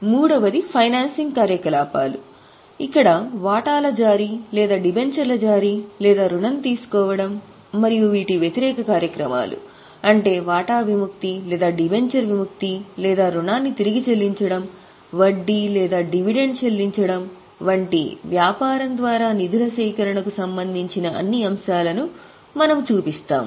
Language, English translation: Telugu, Third one is financing activities where we show all those items related to raising of funds by the business like issue of shares or issue of dementia or taking loan and the reverse of this, that is redemption of share or redemption of dementia or repayment of loan, interest or dividend paid thereon